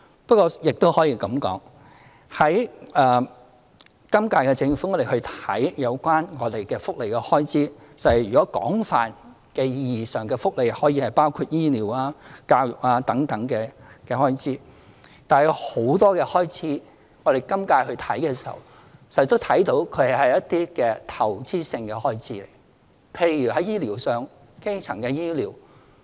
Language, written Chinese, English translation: Cantonese, 不過，亦可這樣說，今屆政府檢視有關福利的開支，在廣泛的意義上，福利可以包括醫療、教育等開支；但有很多開支，今屆政府檢視時，卻看作是一些投資性的開支，例如，在醫療上的基層醫療。, Nevertheless in the review of welfare expenditure by the current term of Government welfare expenditure in a broader sense can include the expenses in health care and education . But for many other expenditures the incumbent Government regards them as investment expenditures in its review such as the expenditures on primary health care under health care services